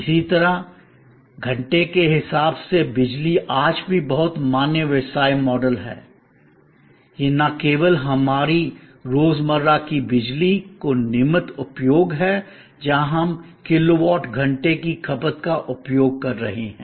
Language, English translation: Hindi, Similarly, power by hour is also very valid business model today, it is not only our regular everyday usage of electricity where we are using kilowatt hour based consumption